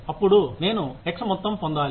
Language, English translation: Telugu, Then, I should get, x amount of pay